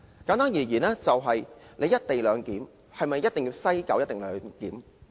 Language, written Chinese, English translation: Cantonese, 簡單而言，"一地兩檢"是否一定要在西九龍站進行？, In brief does the co - location arrangement have to be implemented at the West Kowloon Station?